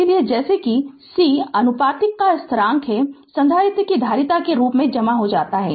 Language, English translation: Hindi, So, as c is constant of proportionality is known as capacitance of the capacitor right